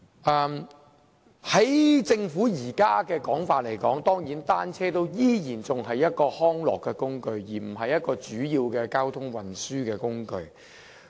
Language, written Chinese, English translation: Cantonese, 按照政府現時的說法，單車仍然是一種康樂工具，而非主要的交通運輸工具。, According to the current position of the Government bicycles are still a recreational tool but not a major mode of transport